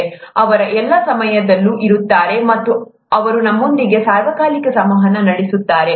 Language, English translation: Kannada, They are present all the time, and they are interacting with us all the time